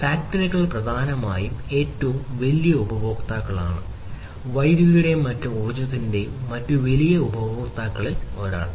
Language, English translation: Malayalam, Factories are essentially the largest consumers, one of the largest consumers of electricity and different other energy